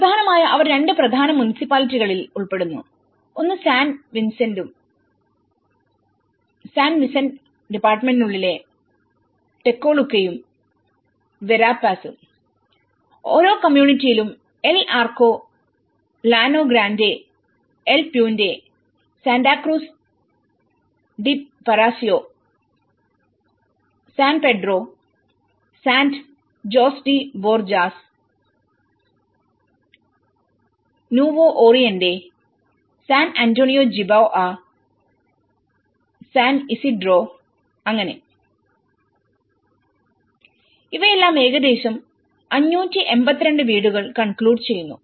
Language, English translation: Malayalam, Mainly, they have covered in the two major municipalities, one is a Tecoluca and Verapaz, within the department of San Vicente and each community includes El Arco, Llano Grande, El Puente, Santa Cruz de Paraiso, San Pedro, Sand Jose de Borjas, Nuevo Oriente, San Antonio Jiboa, San Isidro so, these are all concluding about 582 houses